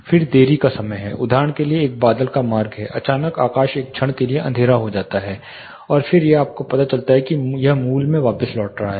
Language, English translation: Hindi, Then there is delay time for example, there is a cloud passage suddenly the sky gets dark for a moment and then it is you know it is reverting back to original